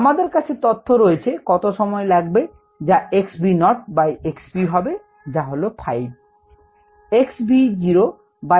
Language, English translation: Bengali, we have the information on the time taken for x v naught by x v to be five a